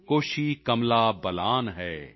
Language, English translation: Punjabi, Koshi, Kamla Balan,